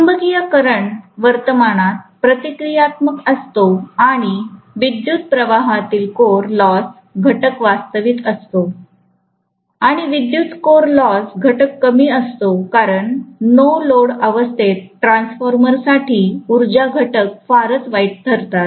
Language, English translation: Marathi, The magnetising current is reactive in nature and the core loss component of current is real and because core loss component of current is very very small, invariably the power factor will be pretty bad for a transformer under no load condition